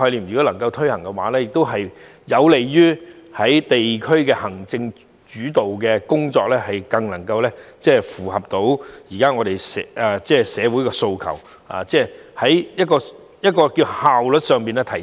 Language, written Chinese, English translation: Cantonese, 如果能夠落實這個概念，亦能讓地區行政主導的工作更符合現時社會的訴求，即在效率上有所提升。, If the relevant concept can be put into practice the executive - led structure in the districts will better meet the demands of society at present which will increase efficiency